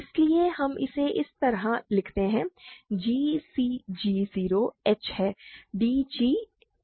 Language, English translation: Hindi, So, we write it like this, g is cg 0 h is d h 0